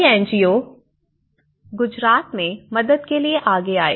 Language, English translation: Hindi, It was many NGOs which came to Gujarat to give their helping hand